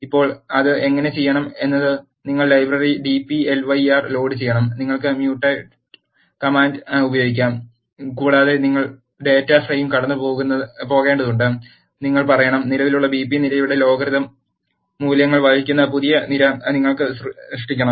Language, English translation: Malayalam, So now, how to do that is you have to load the library dplyr, you can use mutate command and you need to pass the data frame and you have to say, you have to create new column which is carrying the values of logarithm the existing column BP